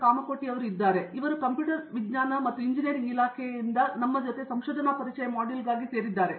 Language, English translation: Kannada, Kamakoti from the Department of Computer Science and Engineering, for this department module on Introduction to Research